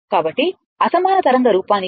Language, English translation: Telugu, So, this is unsymmetrical wave form